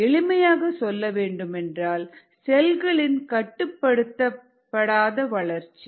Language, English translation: Tamil, very simplistically speaking, it is the uncontrolled growth of cells